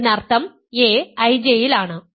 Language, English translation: Malayalam, Now, a i is in I